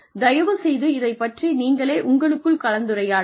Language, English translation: Tamil, Please discuss this amongst yourselves